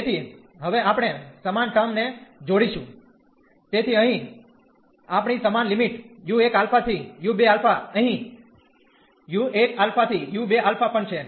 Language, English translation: Gujarati, So, now we will combine the similar terms, so here we have the same limits u 1 alpha to u 2 alpha here also u 1 alpha to u 2 alpha